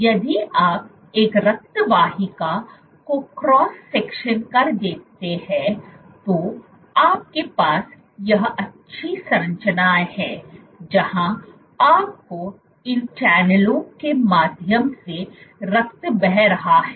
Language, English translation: Hindi, If you see the cross section of a blood vessel you have this nice structure, where you have blood flowing through these channels